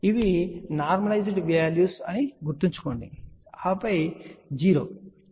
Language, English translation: Telugu, Remember these are normalized values, ok and then 0